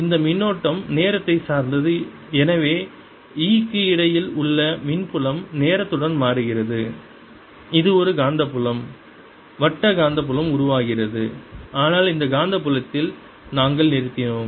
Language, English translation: Tamil, this current is time dependent and therefore electric field in between, electric field in between e changes the time which gives rise to a magnetic field, circular magnetic field which is coming up